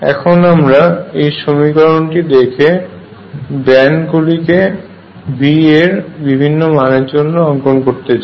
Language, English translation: Bengali, What our urge to do is look at this equation and try to plot these bands for different values of V and see what happens